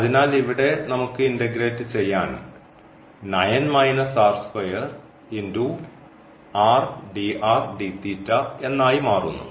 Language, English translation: Malayalam, So, we have to just integrate the simply integral